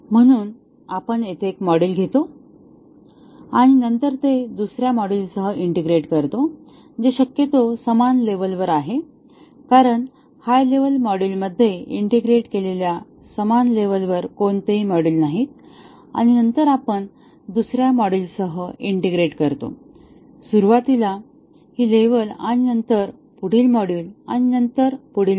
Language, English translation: Marathi, So, we take one module here and then, integrate it with another module which is possibly at the same level since there are no modules at the same level with integrated to the higher level module and then, we integrate with another module, this level and then the next module and then, the next module